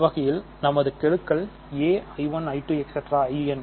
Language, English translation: Tamil, So, we will have a i 1 i 2 i n